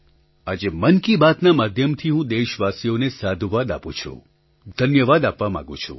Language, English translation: Gujarati, Today, through the Man Ki Baat program, I would like to appreciate and thank my countrymen